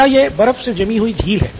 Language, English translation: Hindi, Is this a frozen lake